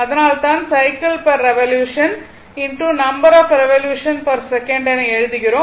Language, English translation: Tamil, So, you can write number of cycles per revolution into number of revolution per second